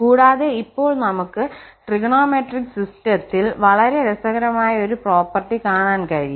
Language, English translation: Malayalam, And very interesting property now we will look into for trigonometric system